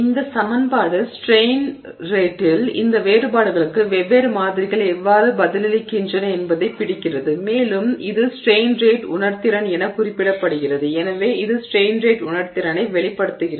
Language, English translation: Tamil, So, this equation captures how different samples are responding to these differences in strain rate and this is referred to as the strain rate sensitivity